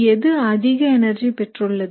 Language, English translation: Tamil, Which have a higher energy